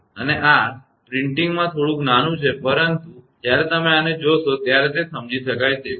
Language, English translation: Gujarati, And this printing is little bit small, but understandable when you will when you see this one this is understandable right